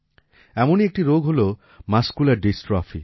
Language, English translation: Bengali, One such disease is Muscular Dystrophy